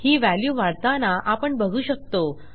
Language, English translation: Marathi, You can see that the value is in fact going up